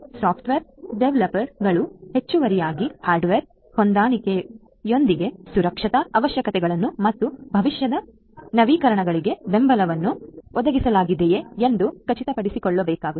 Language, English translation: Kannada, The software developers will also additionally have to ensure that the security requirements with hardware compatibility and support for future updates are provided